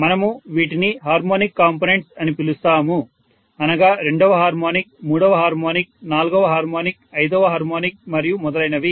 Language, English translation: Telugu, We call these as harmonic components which is second harmonic, third harmonic, fourth harmonic, fifth harmonic and so on and so forth